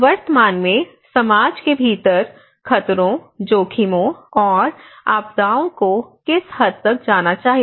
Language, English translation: Hindi, To what extent are hazards, risks, and disasters within society currently well known